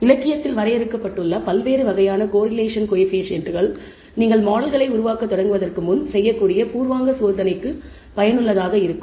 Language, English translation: Tamil, Different types of correlation coefficients that are been defined in the literature what they are useful for this is a preliminary check you can do before you start building models